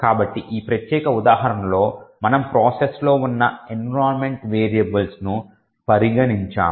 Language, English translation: Telugu, So, in this particular example over here we have considered the environment variables that is present in the process